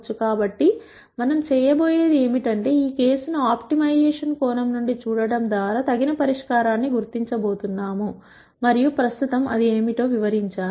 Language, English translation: Telugu, So, what we are going to do is, we are going to identify an appropriate solution by viewing this case from an optimization perspective and I explain what that is presently